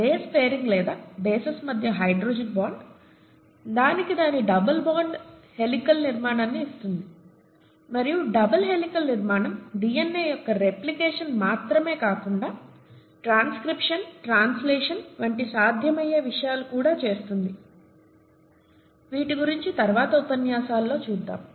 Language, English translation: Telugu, So this is what automatically results because of the various constraints in size and so on and so forth, the base pairing or hydrogen bonding between the bases, gives it its double helical structure and the double helical structure makes other things such as replication of DNA as well as transcription, translation and things like that possible, that we will see in later lectures, okay